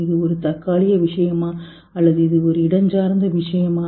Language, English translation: Tamil, Is it a temporal thing or is it a spatial thing